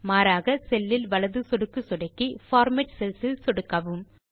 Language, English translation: Tamil, Alternately, right click on the cell and click on Format Cells